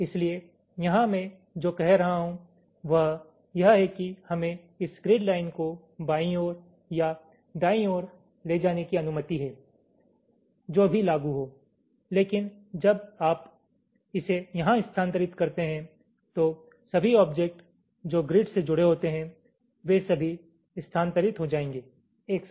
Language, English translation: Hindi, so here what i am saying is that here we are allowed to move this grid lines to the left or to the right, whatever is applicable, but when you move it here, all the objects which are attached to the grid, they will all move simultaneously this grid line